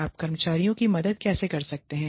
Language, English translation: Hindi, How, you can help the employees